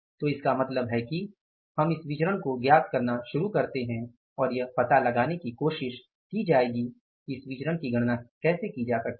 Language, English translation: Hindi, So, it means we will start working out these variances now and we will try to find out how these variances can be calculated